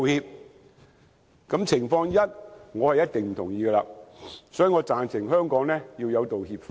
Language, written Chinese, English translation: Cantonese, 對於上述情況一，我是絕對不同意，所以，我贊成香港要有道歉法。, I absolutely disagree with Scenario One . Hence I am in favour of the enactment of apology legislation in Hong Kong